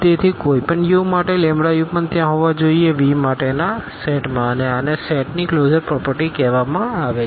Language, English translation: Gujarati, So, for any u, the lambda u must also be there in the set for V and these are called the closure properties of the set